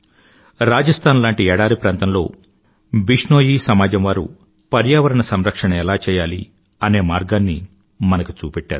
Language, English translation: Telugu, TheBishnoi community in the desert land of Rajasthan has shown us a way of environment protection